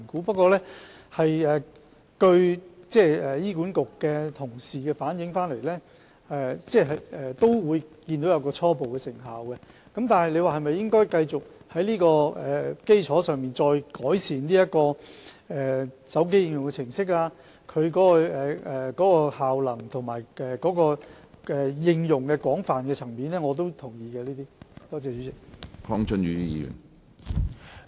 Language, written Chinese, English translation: Cantonese, 不過，根據醫管局同事反映，他們看到有初步的成效，對於應否繼續在這基礎上改善手機應用程式及效能，以及擴闊應用層面等，我也同意是可以考慮的。, However according to the feedback from HA colleagues the scheme is effective initially . As for the continued enhancement of the programming and functions of the mobile application on this foundation as well as an expansion of its coverage I agree that it is worthy of consideration